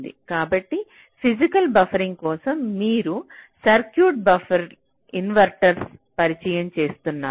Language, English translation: Telugu, so for physical buffering means you are actually introducing the circuits, the buffer, the inverters